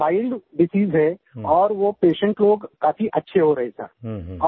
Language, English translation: Hindi, It's a mild disease and patients are successfully recovering